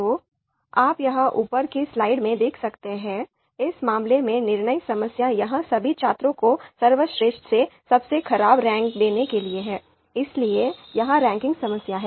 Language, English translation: Hindi, So you can see here in the slide decision problem here in this case is to rank all students from best to worst, so this being a ranking problem